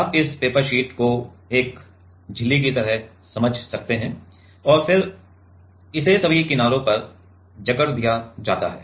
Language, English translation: Hindi, You can think this paper sheet as a membrane and then it is clamped at all the edges